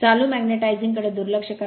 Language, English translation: Marathi, Ignore magnetizing current right